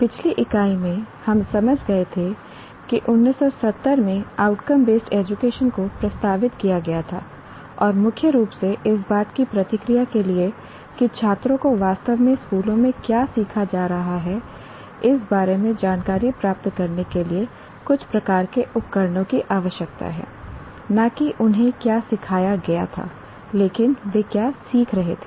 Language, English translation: Hindi, In the last unit, we understood that outcome based education was proposed way back in 70s, and mainly in response to the need to have some kind of instruments to obtain information on what students are actually learning across schools